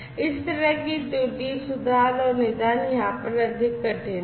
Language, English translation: Hindi, So, this kind of so, error correction and diagnosis is much more difficult over here